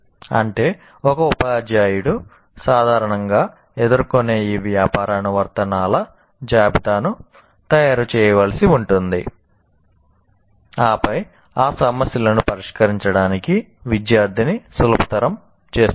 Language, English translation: Telugu, That means the teacher will have to make a list of this commonly encountered business applications and then make the student, rather facilitate the student to solve those problems